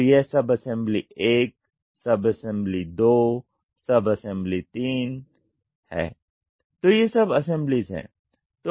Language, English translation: Hindi, So, this is sub assembly 1, sub assembly 2, sub assembly 3 so these are sub assemblies